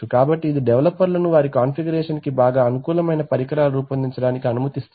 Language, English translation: Telugu, So it enables developers to design custom instruments best suited to their application